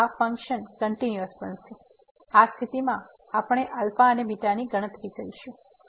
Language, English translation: Gujarati, So, out of this condition we will compute alpha and beta